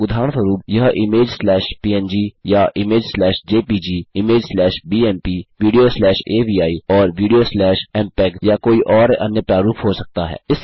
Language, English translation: Hindi, For example this can be image slash png or image slash jpeg, image slash bmp , video slash avi and video slash mpeg or some other format